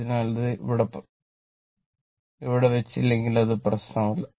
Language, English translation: Malayalam, So, so if you do not put here, does not matter